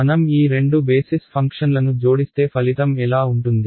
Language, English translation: Telugu, Supposing I add these two basis functions what will the result look like